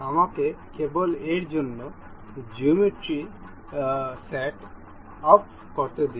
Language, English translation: Bengali, Let me just set up the geometry for this